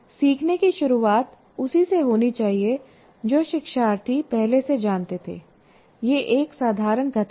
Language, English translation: Hindi, So learning needs to start from what the learners already know